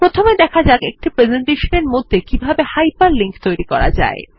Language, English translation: Bengali, First we will look at how to hyperlink with in a presentation